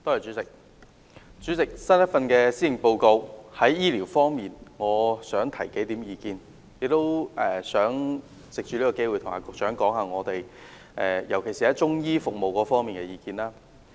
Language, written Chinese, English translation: Cantonese, 主席，我想就新一份施政報告在醫療方面提出數點意見，特別是藉此機會，向局長提出中醫服務方面的意見。, President I would like to put forward a few comments on the health care services under the new Policy Address . In particular I would like to take this opportunity to share with the Secretary my views on the provision of Chinese medicine services